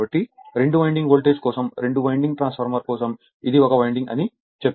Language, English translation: Telugu, So, for two winding voltage, I told you that this for two winding transformer this is 1 winding right